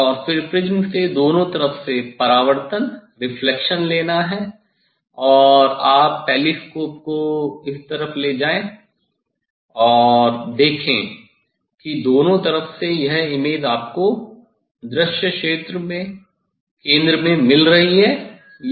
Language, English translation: Hindi, And, then next you have to put the prism ok, and then take the reflection from the prism on both side and you take the telescope, this side and see this whether this image in both side your getting at the centre of the filled up the view